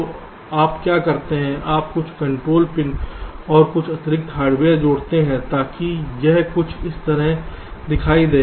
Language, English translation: Hindi, you add some control pin and some extra hardware to make it look something like this